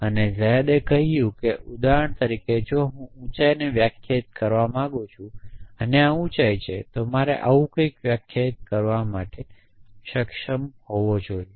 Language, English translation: Gujarati, And zadeh said that for example, if I want to define tallness and this is height then I should be able to define something like this